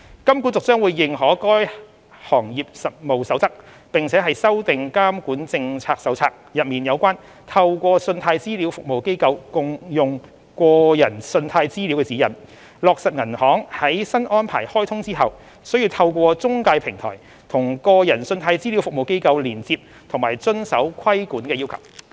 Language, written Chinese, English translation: Cantonese, 金管局將會認可該《行業實務守則》，並修訂《監管政策手冊》內有關"透過信貸資料服務機構共用個人信貸資料"的指引，落實銀行在新安排開通後須透過中介平台與個人信貸資料服務機構連接及遵守規管要求。, HKMA will endorse the Industry Code and revise its Supervisory Policy Manual module on The Sharing and Use of Consumer Credit Data through a Credit Reference Agency to set out the supervisory expectation for banks to interface with CRAs through a multiple CRAs platform and comply with the regulatory requirements upon commencement of the platform